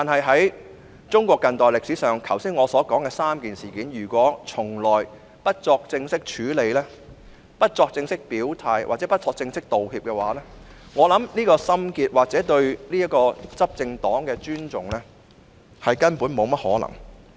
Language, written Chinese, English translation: Cantonese, 在中國近代歷史上，對於我剛才所述的3件事件，如果一直不作正式處理、不作正式表態或不作正式道歉，我相信這心結無法解開，或說對執政黨抱有尊重是根本沒可能的。, So long as these three events in modern Chinese history I have just mentioned have not been officially handled and no official stance has been stated or no official apology has been made I believe the emotional block can never be untied or I should say it is impossible to have respect for the ruling party